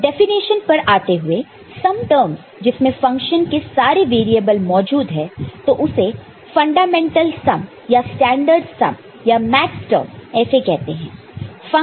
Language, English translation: Hindi, So, coming to the definition, sum terms containing all variables of a function which is there in a particular n variable problem, so that is called fundamental sum or standard sum or Maxterm ok